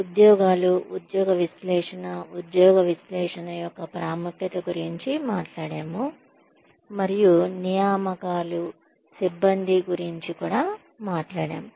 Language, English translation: Telugu, We talked about, the importance of job analysis and we talked about, recruitments and staffing